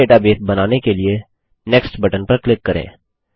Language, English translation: Hindi, Click on the Next button to create a new database